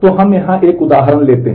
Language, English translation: Hindi, So, let us have a look at the example